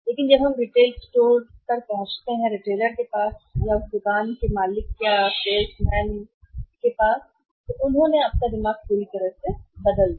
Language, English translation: Hindi, But when we reach at the store retailer of the shopkeeper the store owner or their salesman they totally changed your mind